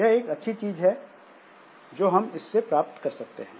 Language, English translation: Hindi, So, that is one good thing that we can have